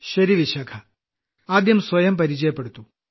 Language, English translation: Malayalam, WellVishakha ji, first tell us about yourself